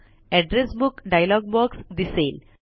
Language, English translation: Marathi, The Address Book dialog box appears